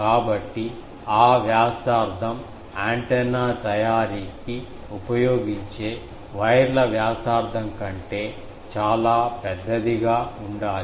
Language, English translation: Telugu, So, that radius is much should be much larger than the radius of the wires which are used to make that antenna